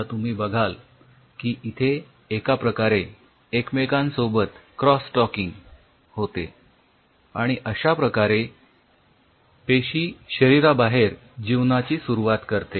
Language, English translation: Marathi, so now they are kind of cross talking with each other and this is how a cell initiates it: live outside the system